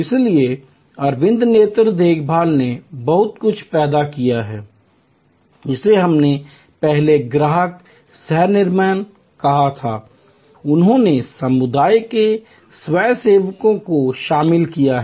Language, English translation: Hindi, So, Aravind eye care has created a lot of what we called earlier customer co creation, they have involved volunteers from community